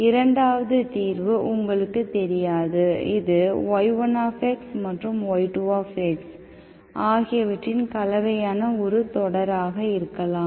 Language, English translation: Tamil, 2nd solution, you are not sure, it may be the combination of y1 plus y2 as a series, okay